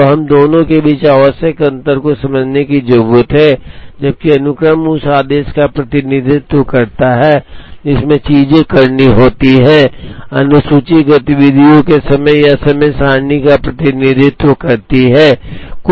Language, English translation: Hindi, So, we need to understand the essential difference between the two, while sequence represents the order, in which things have to be done, schedule represents the timing or time table of the activities